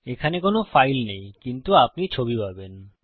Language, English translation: Bengali, Theres no file specified, but you get the picture